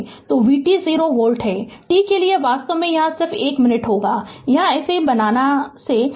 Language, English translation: Hindi, So, v t is 0 volt, for t actually here ah it will be just one minute it will be t less than it will be t less than right this we make right